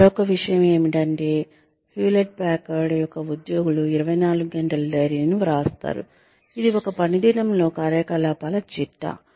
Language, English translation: Telugu, Another thing, that employees of Hewlett Packard do is, write up 24 hour diaries, which is a log of activities, during one workday